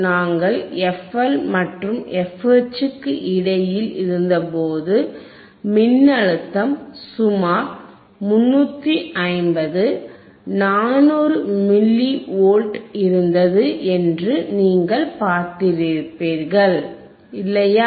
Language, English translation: Tamil, And or when we were between f L were between f L and f H, you would have seen the voltage which was around 350, 400 milli volts, right